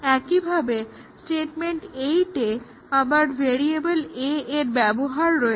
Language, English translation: Bengali, Similarly on statement 8, we have again uses of variable a